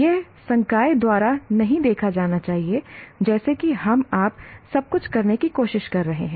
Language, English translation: Hindi, It should not be viewed by faculty as if that you are trying to straightjack it everything